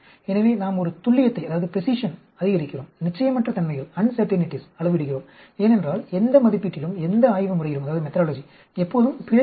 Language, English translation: Tamil, So, we increase a precision, quantify uncertainties because say, any assay, any methodology will always have an error